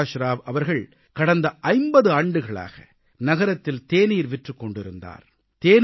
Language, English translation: Tamil, Prakash Rao has been a tea vendor in the city of Cuttack forthe past five decades